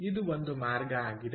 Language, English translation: Kannada, clear, so this is one way